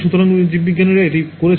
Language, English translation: Bengali, So, biologists have done this